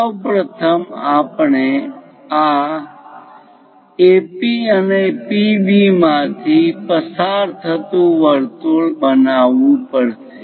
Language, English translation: Gujarati, What we have to do is first of all construct a circle through this AP and PB